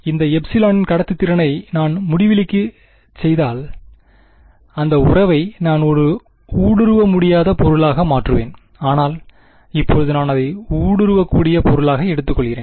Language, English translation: Tamil, If I make the conductivity part of this epsilon tending to infinity I will get that relation that will become a impenetrable object but right now, I am taking it to be a penetrable object